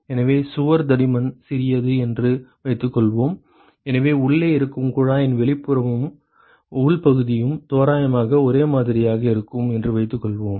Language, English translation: Tamil, So, assume that the wall thickness is small, so assume that the outside and the inside area of the tube which is present inside are approximately the same